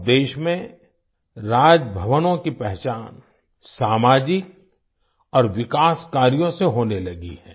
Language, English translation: Hindi, Now Raj Bhavans in the country are being identified with social and development work